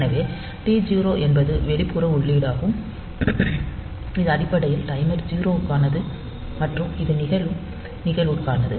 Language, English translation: Tamil, So, T 0 is an external input it is basically for timer 0 and this is for the events that are occurring